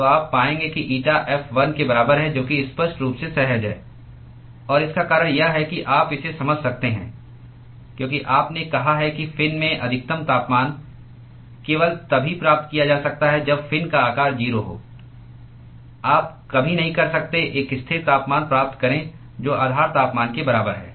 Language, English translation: Hindi, So, you will find out that eta f is equal to 1 that is sort of obvious to intuit and the reason why you can intuit is you said that the maximum temperature in the fin is achievable only when the fin size is 0, you can never achieve a constant temperature which is equal to the base temperature